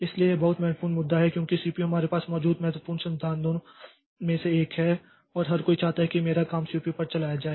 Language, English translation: Hindi, So, this is a very important issue because CPU is one of the very important resource that we have and everybody wants that my job be run on the CPU